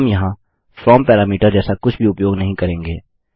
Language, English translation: Hindi, We wont use something like a from parameter here